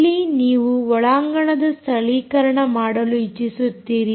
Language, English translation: Kannada, ok, here you want to do indoor localization